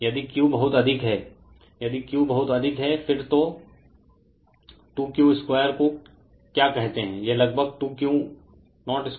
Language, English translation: Hindi, Q is very high if Q is very high, then 2 Q 0 square right your what you call minus 1 approximately 2 Q 0 square right